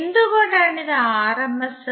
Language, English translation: Malayalam, Why it is rms